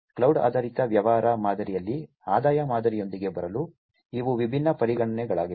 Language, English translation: Kannada, These are the different considerations to come up with the revenue model in the cloud based business model